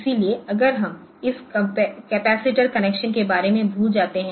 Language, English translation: Hindi, So, if we just forgive forget about this capacitor connection